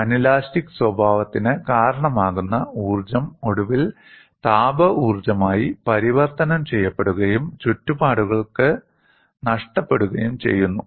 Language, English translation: Malayalam, The energy that causes anelastic behavior is eventually converted into heat energy and is lost to the surroundings; that is quite alright